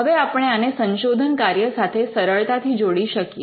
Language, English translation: Gujarati, So, we can relate this easily with what is happening in research